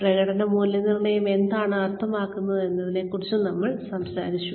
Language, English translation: Malayalam, We talked about, being clear on, what performance appraisal meant